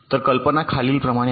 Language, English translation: Marathi, so the basic idea is this